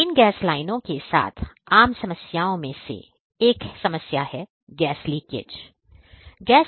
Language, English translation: Hindi, So, one of the common problems with these gas lines the distribution lines is leakage